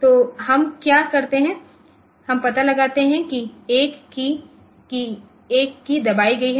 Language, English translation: Hindi, So, what we do we go once we detect that a key has been pressed